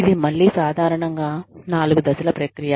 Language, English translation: Telugu, It is again, a four step process, typically